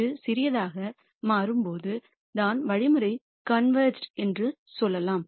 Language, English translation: Tamil, That is when this becomes small enough you say the algorithm has converged